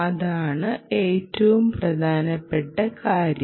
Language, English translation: Malayalam, that is the most important thing